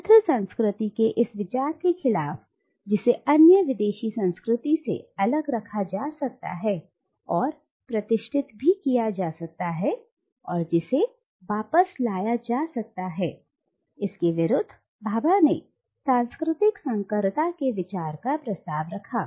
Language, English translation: Hindi, Now against this idea of a pure culture which can be distinguished and kept separated from another foreign culture and which can be reverted back to, against this Bhabha proposes the idea of cultural hybridity